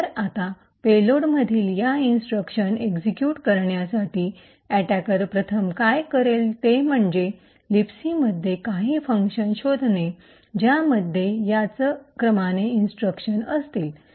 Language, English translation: Marathi, So, now the first thing the attacker would do in order to execute these instructions in the payload is to find some function in or the libc which has all of these 7 instructions in this order